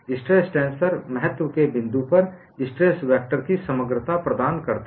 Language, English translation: Hindi, Stress tensor provides totality of the stress vectors at a point of interest